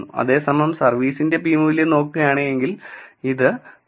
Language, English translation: Malayalam, Whereas, if you look at the p value of service, it is 0